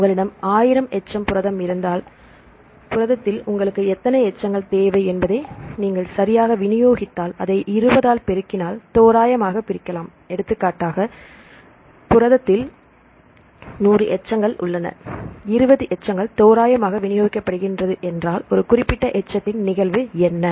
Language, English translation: Tamil, If you have the 1000 residue protein, you probably divide it by multiply it by 20 right randomly if you distributed right how many residues you need in the in the protein right for example, if you have 100 residues the protein have 100 residues, if all the 20 residues are randomly distributed right what is the occurrence of a particular residue